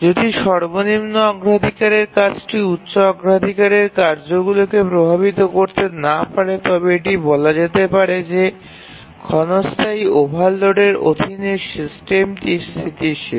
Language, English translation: Bengali, If a lowest priority task cannot affect the higher priority tasks, then we say that the system is stable under transient overload